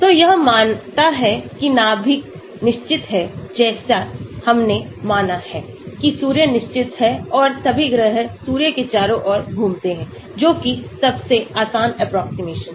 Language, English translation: Hindi, So, it assumes that the nucleus is fixed like we assume that Sun is fixed and all the planets revolve around the Sun that is the easiest approximation